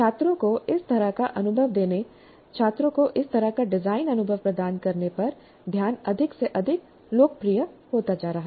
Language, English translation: Hindi, So the focus on giving this kind of exposure to the students, providing this kind of design experience to the students is becoming more and more popular